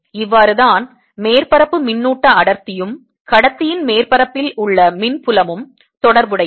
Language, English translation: Tamil, this is how surface charge density and the electric field on the surface of conductor are related